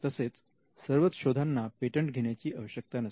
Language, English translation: Marathi, And not all inventions need patents as well